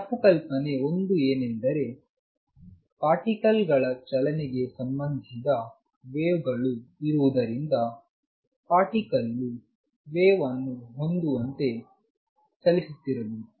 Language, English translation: Kannada, Misconception one, and that is that since there are waves associated with particles motion the particle must be moving as has a wave itself